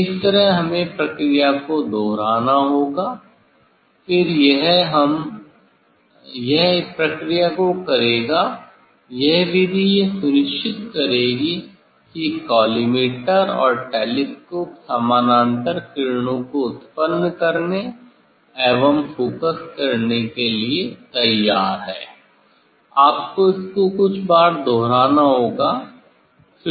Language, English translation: Hindi, This way we have to repeat the process, we have to repeat the process, then this we; it will this process this method will make sure that the collimator and the telescope are ready for handling the producing or focusing the parallel rays, one has to repeat few times